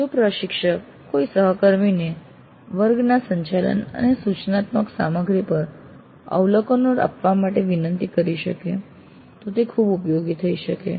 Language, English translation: Gujarati, If the instructor can request a colleague to give observations on the contract of the sessions and instructional material it can be very valuable